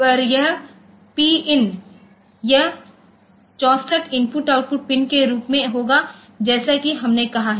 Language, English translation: Hindi, So, this PIND, so this will as there are 64 IO pins as we have said